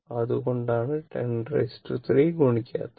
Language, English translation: Malayalam, That is why , 10 to the power 3 is not multiplied, right